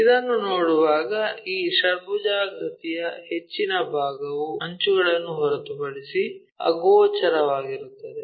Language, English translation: Kannada, When we are looking at this most of this hexagon is invisible other than the edges